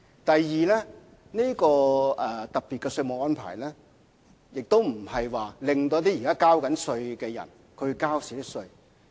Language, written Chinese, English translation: Cantonese, 第二，這個特別的稅務安排，不會令一些正在繳稅的人少交稅款。, Second this special taxation arrangement will not result in lower tax payments for some people